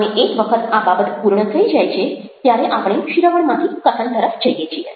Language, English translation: Gujarati, and once this part of the thing is over, we move from listening to speaking